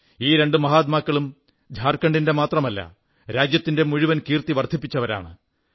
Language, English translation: Malayalam, These two distinguished personalities brought glory &honour not just to Jharkhand, but the entire country